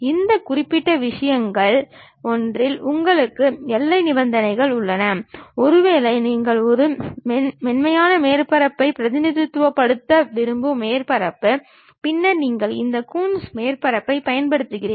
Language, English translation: Tamil, You have boundary conditions on one of these particular things and maybe a surface you would like to really represent a smooth surface, then you employ this Coons surface